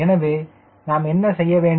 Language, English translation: Tamil, so what is to be done